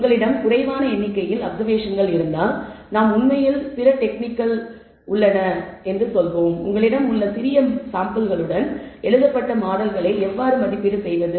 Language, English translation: Tamil, If you fewer number of observations then you there are other techniques we will actually explain or how to evaluate written models with small samples that you have